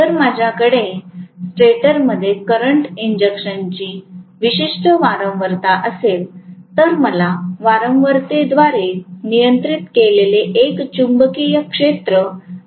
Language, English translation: Marathi, If I have a particular frequency of current injected into the stator, I am going to get a revolving magnetic field which is governed by the frequency